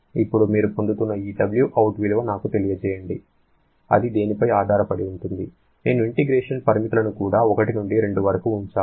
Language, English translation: Telugu, Now, the value of this W that you are getting or let me know it say W out that depends upon what I should put the integration limits also 1 to 2